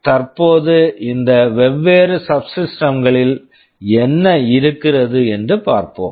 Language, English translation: Tamil, Now, let us see what these different subsystems contain